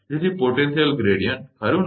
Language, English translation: Gujarati, So, potential gradient right